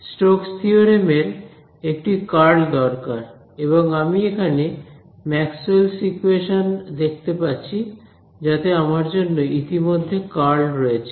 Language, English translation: Bengali, Stokes theorem needs a curl and I see Maxwell’s equations over here sitting with a curl like readymade for me